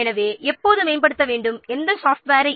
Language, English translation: Tamil, Who is responsible for upgrading which software